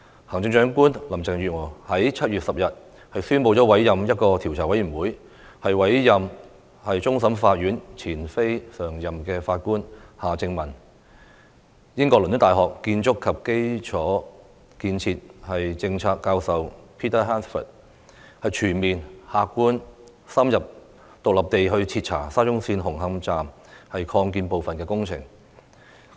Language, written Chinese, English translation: Cantonese, 行政長官林鄭月娥在7月10日宣布委任調查委員會，委任終審法院前非常任法官夏正民及英國倫敦大學學院建築和基礎建設政策教授 Peter HANSFORD， 全面、客觀、深入和獨立地徹查沙中線紅磡站擴建部分的工程。, On 10 July Chief Executive Carrie LAM announced the appointment of a Commission of Inquiry . Mr Justice Michael John HARTMANN former Non - Permanent Judge of the Court of Final Appeal and Prof Peter George HANSFORD Professor of Construction and Infrastructure Policy at University College London in the United Kingdom were appointed to conduct a comprehensive objective in - depth and independent investigation into the works at the Hung Hom Station Extension of SCL